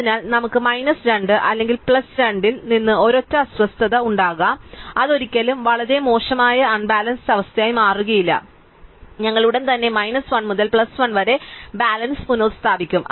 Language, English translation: Malayalam, So, we would have a single disturbance from minus 2 or plus 2 it will never become very badly unbalance and we will immediately restore the balance to within minus 1 to plus 1